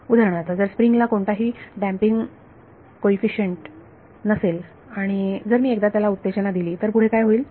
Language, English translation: Marathi, For example, if a spring has no damping coefficient and if I excited once, so what happens